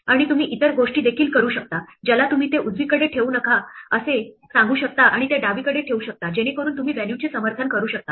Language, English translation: Marathi, And you can also do other things you can tell it not to put it on the right put it on the left, so you can left justify the value